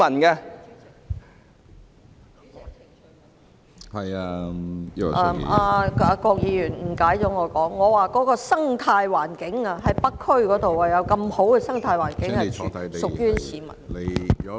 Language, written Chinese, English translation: Cantonese, 主席，郭議員誤解了我的意思，我剛才指北區有如此良好的生態環境，全是屬於市民的。, President Mr KWOK has misunderstood my meaning . What I meant just now was that there is such a good ecological environment in North District and the whole of it belongs to the public